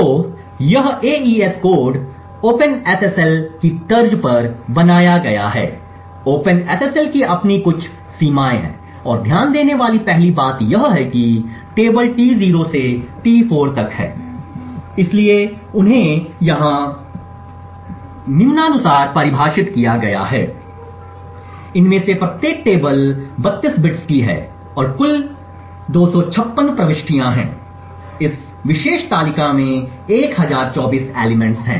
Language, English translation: Hindi, So this AES code is built on the lines of open SSL, one of the earlier limitations of the open SSL and the 1st thing to note is the tables T0 to T4 so they are defined here as follows, so each of these tables is of 32 bits and there are 256 entries in total, there are 1024 elements in this particular table